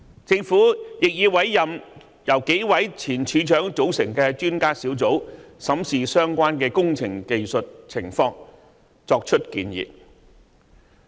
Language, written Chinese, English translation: Cantonese, 政府亦已委任由數位前署長組成的專家小組，審視相關工程的技術情況，作出建議。, The Government has also appointed an Expert Adviser Team comprising of several retired heads of departments to examine the technical aspect of the relevant works and make recommendations